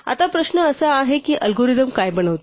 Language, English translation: Marathi, Now question is does this constitute an algorithm